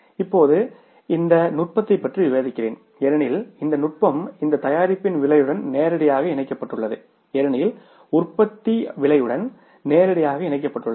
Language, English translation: Tamil, Now why I am discussing all this is with regard to this technique because this technique is directly linked to the pricing of the product